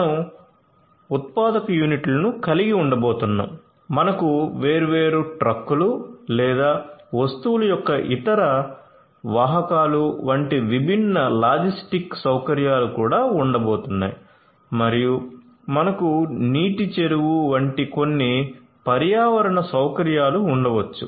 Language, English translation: Telugu, So, you are going to have manufacturing units, you are also going to have different logistic facilities such as trucks, different trucks or the different other carriers of goods and you could have maybe some ecological facilities such as water pond etcetera